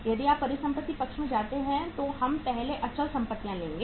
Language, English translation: Hindi, If you move to the asset side we will take the fixed assets first